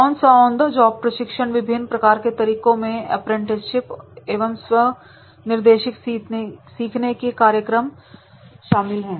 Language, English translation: Hindi, On the job training takes various forms including apprenticeships and self directed learning programs